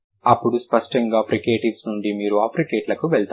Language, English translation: Telugu, Then obviously when the from fricatives you are moving to africates